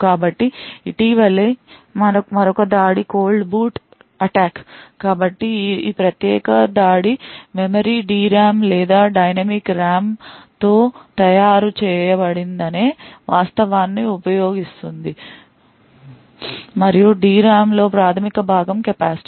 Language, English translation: Telugu, So, another recent attack is the Cold Boot Attack, So, this particular attack use the fact that the memory is made out D RAM or the dynamic RAM and the fundamental component in the D RAM is the capacitor